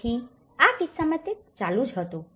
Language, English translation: Gujarati, So, in this case, it was continuing